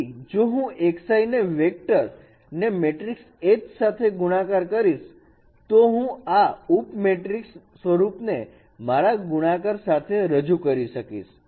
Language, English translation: Gujarati, So if I multiply this matrix H with the vector xI, I can also represent in this particular sub matrix form multiplication